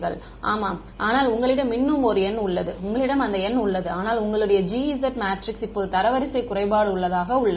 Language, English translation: Tamil, Yeah, but then you still have a number same You have the number same, but your G S matrix now is a rank deficient